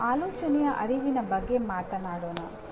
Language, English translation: Kannada, Now awareness of thinking